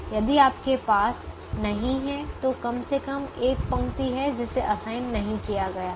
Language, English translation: Hindi, if you don't have, then there is atleast one row that is not assigned